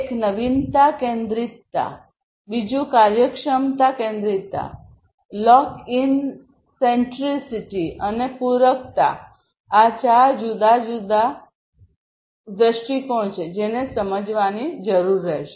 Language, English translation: Gujarati, One is the novelty centricity, second is the efficiency centricity, lock in centricity, and the complementarity; these are the four different perspectives four different aspects that will need to be understood